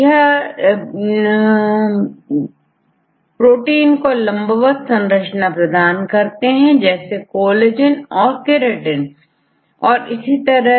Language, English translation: Hindi, So, this gives the elongated shape to this structural protein like the collagen or keratin and so on, fine